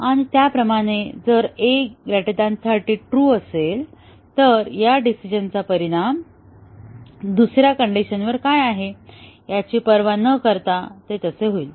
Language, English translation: Marathi, And, similarly if a greater than 30 is true, then the result of the decision is irrespective of what is there on the second condition